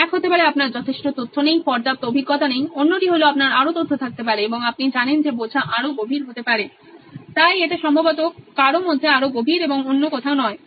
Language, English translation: Bengali, One could be potentially you do not have enough information, do not have enough experience, other is you may have more information and you know understands it may get deeper, so that is probably even deeper in some and not somewhere else